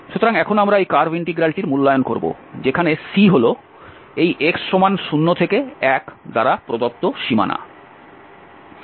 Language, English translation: Bengali, So now, we will evaluate this curve integral where C is the boundary given by this x 0 to 1